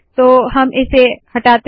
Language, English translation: Hindi, Lets delete this